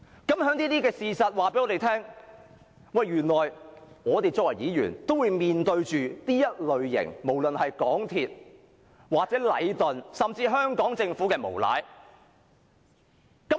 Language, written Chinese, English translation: Cantonese, 這些事實均告訴我們，原來我們身為議員，也會面對這類無論是港鐵公司或禮頓，甚至香港政府的無賴表現。, These facts tell us that we Members of the Legislative Council have to face unfair treatment by MTRCL Leighton or even the Hong Kong Government